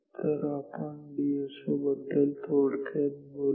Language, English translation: Marathi, So, let us talk very briefly about DSO